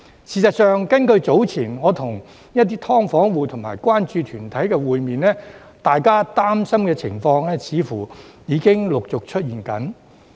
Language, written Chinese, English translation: Cantonese, 事實上，早前我與一些"劏房戶"及關注團體會面，大家擔心的情況似乎已經陸續出現。, In fact I met with some SDU households and concern groups earlier and their concerns seemed to have materialized one after another